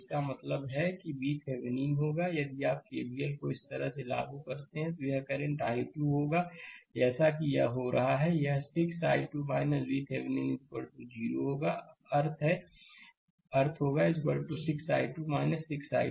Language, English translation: Hindi, So, that means, V Thevenin will be if you apply your K V L like this, it will be current i 2 is going like this, it will be 6 i 2 minus V Thevenin is equal to 0that means, V Thevenin is equal to 6 i 2 right is equal to 6 i 2